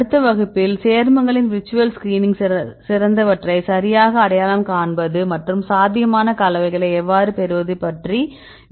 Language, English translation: Tamil, In the next class I will discuss about the virtual screening of compounds right, if we have a set of compounds